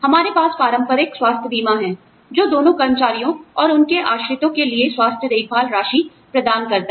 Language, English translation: Hindi, We have traditional health insurance, provides health care coverage, for both employees and their dependents